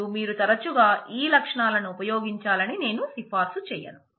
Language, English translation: Telugu, And I would not recommend that you frequently use these features